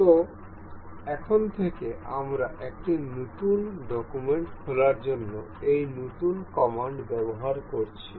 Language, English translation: Bengali, So now, from now earlier we have been using this new command to open a new document